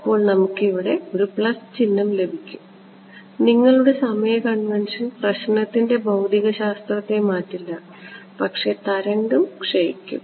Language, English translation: Malayalam, We will get a plus sign over here because your time convention does not change the physics of the problem, but the wave will decay ok